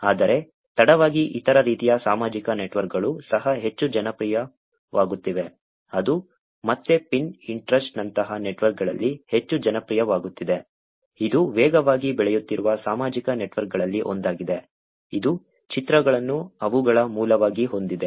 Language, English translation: Kannada, Whereas off late there has been other types of social networks also that are getting more popular which is again in networks like Pinterest, which is one of the fastest growing social networks which has images as their base